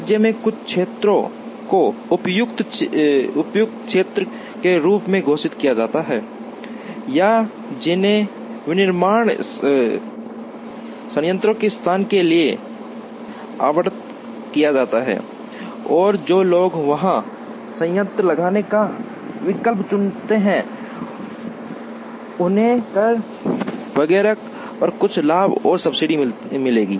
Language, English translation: Hindi, Certain areas in the state are declared as areas that are suitable or that are allocated for location of manufacturing plants and people who choose to locate plant there, would get certain benefits and subsidies on tax, etcetera